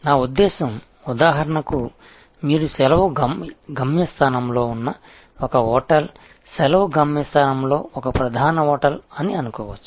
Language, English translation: Telugu, I mean like for example, you can think this a hotel at a holiday destination, a major hotel at holiday destination